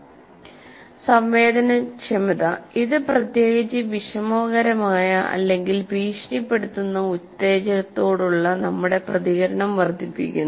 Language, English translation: Malayalam, Sensitization, what it means it increases our response to a particularly noxious or threatening stimulus